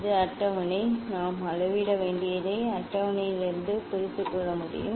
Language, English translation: Tamil, this is the table; from the table what we have to measure we can understand